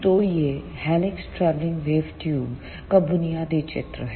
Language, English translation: Hindi, So, this is the basic schematic of helix travelling wave tube